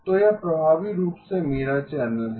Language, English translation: Hindi, So this is effectively my channel